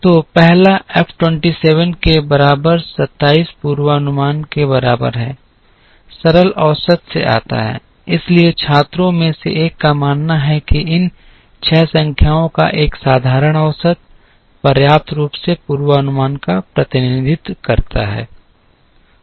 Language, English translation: Hindi, So, the first F is equal to 27 forecast equal to 27, comes from simple average, so one of the students believes that a simple average of these 6 numbers, adequately represents the forecast